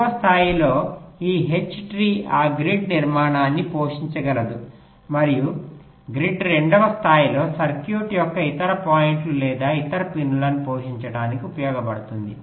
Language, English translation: Telugu, this h tree can feed that grid structure and the grid can, in the second level, use to feed the other points or other pins of the circuit